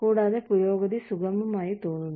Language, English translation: Malayalam, And, the progression seems smoother